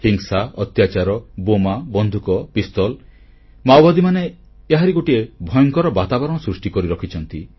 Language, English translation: Odia, Violence, torture, explosives, guns, pistols… the Maoists have created a scary reign of terror